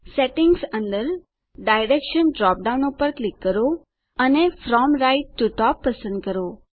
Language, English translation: Gujarati, Under Settings, click the Direction drop down and select From right to top